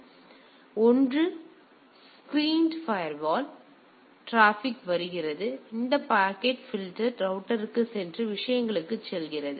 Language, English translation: Tamil, So, one is the screened firewall like here the traffic comes and then it goes to this packet filtering router and goes to the things right